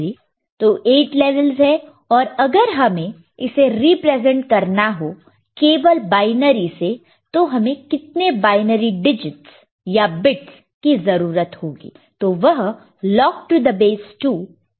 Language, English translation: Hindi, So, there are 8 levels if you want to represent it using only binary we need how many binary digits or bits, it is log N to the base 2 – ok